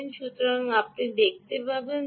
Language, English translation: Bengali, you can see that this is ah